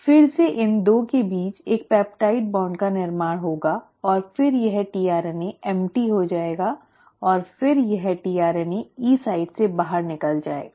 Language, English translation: Hindi, Again there will be a peptide bond formation between these 2 and then this tRNA becomes empty and then this tRNA also moves out of the E site